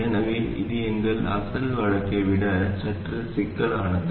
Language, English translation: Tamil, So this is slightly more complicated than our original case